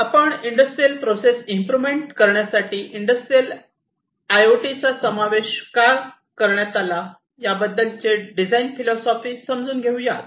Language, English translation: Marathi, So, let us look at the design philosophy behind the inclusion of IIoT for improving the industrial processes